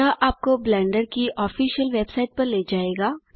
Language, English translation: Hindi, This should take you to the official blender website